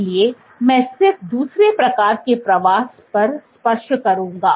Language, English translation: Hindi, So, I will just touch upon another type of migration